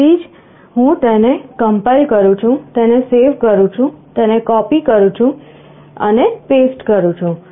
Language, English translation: Gujarati, So I compile it, save it, copy it and paste it